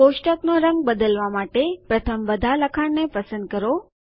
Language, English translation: Gujarati, To change the color of the table, first select all the text